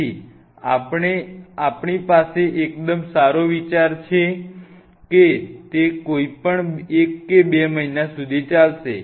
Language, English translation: Gujarati, So, we have a fairly good idea that whether it will last a month or two months or whatever